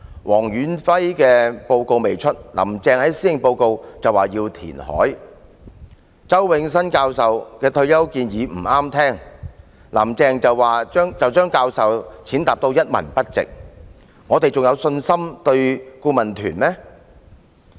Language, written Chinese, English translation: Cantonese, 黃遠輝的報告尚未發表，"林鄭"便在施政報告說要填海；周永新教授的退休保障建議不中聽，"林鄭"便把教授踐踏得一文不值，我們對顧問團還會有信心嗎？, Carrie LAM proposed reclamation in her Policy Address even before Stanley WONG released the Task Forces report . When she considered Prof Nelson CHOWs recommendations on retirement protection disagreeable she simply regarded the professor as worthless . Can we still have confidence in the Expert Adviser Team?